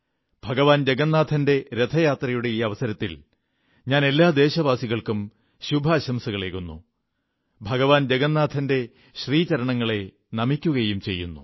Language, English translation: Malayalam, On the occasion of Lord Jagannath's Car Festival, I extend my heartiest greetings to all my fellow countrymen, and offer my obeisance to Lord Jagannath